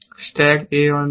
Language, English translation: Bengali, stack is, on table b